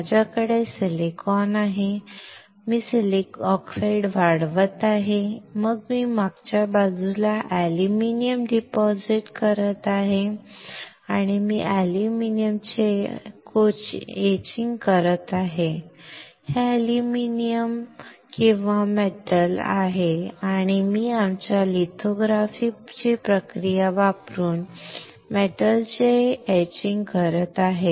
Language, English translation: Marathi, I have silicon, I am growing oxide, then I am depositing aluminum on the back, and I am etching the aluminum this is aluminum or metal and I am etching the metal using process which is our lithography